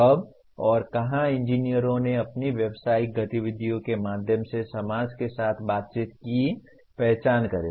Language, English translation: Hindi, Identify when and where engineers interact with society through their professional activities